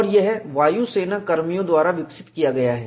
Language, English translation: Hindi, And this is developed by Air force personnel